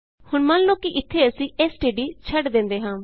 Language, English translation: Punjabi, Now, suppose here we missed std